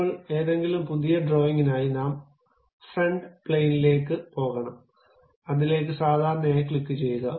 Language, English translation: Malayalam, Now, for any new drawing, we have to go to front plane, click normal to that